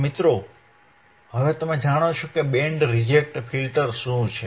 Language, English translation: Gujarati, So, guys now you know, what are the band reject filters